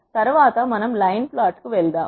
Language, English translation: Telugu, Next we move the line plot